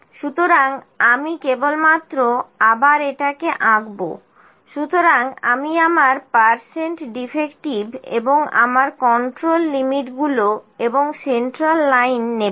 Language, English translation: Bengali, So, I will just plot it again, so I will pick my percent defective and my control limits and central line